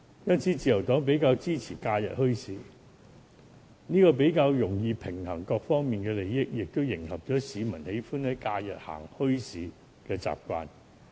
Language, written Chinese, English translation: Cantonese, 因此，自由黨比較支持假日墟市，因為比較容易平衡各方面的利益，也配合市民喜歡在假日逛墟市的習慣。, Thus the Liberal Party is more supportive of holding holiday bazaars . Under this approach it will be easier to balance the interests of various parties as well as meet the peoples habit of visiting bazaars during the holidays